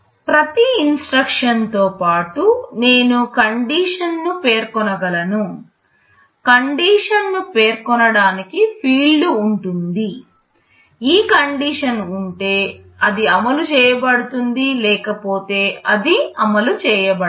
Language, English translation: Telugu, I can specify some condition along with every instruction, there will be a field where some condition is specified; if this condition holds, then it is executed; otherwise it is not executed